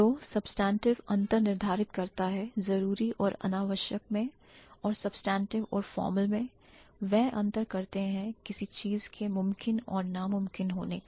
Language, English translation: Hindi, So, the substantive ones, they differentiate between necessary and unnecessary and the substantive and the formal ones, they distinguish between possibility and impossibility of a certain thing